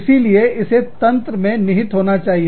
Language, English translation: Hindi, So, that has to be built in the system